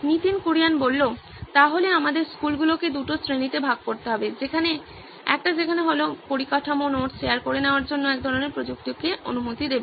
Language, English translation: Bengali, So then we would have to classify schools into two categories, one where the infrastructure allows some kind of technology for sharing of notes